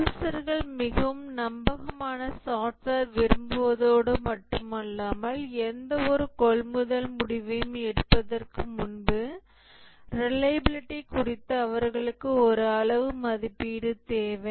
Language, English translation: Tamil, The users not only want a highly reliable software, but they need a quantitative estimation to be given to them about the reliability before they can make any buying decision